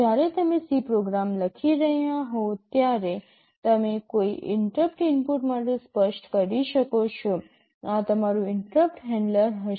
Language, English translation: Gujarati, When you are writing a C program you can specify for a particular interrupt input this will be your interrupt handler